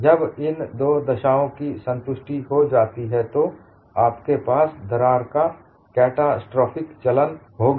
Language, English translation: Hindi, Only when these two conditions are satisfied, you will have catastrophic movement of crack